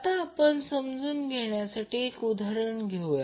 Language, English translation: Marathi, Now let us take one example